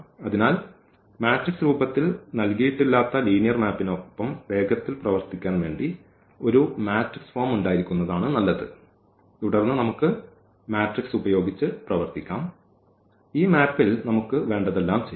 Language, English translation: Malayalam, So, in speed of working with linear map which is not given in the in the form of the matrix it is better to have a matrix form and then we can work with the matrix we can do all operations whatever we want on this map with this matrix here A